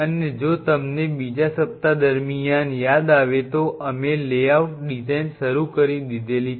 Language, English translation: Gujarati, And if you recollect up to a second week or during the second week we have started the layout design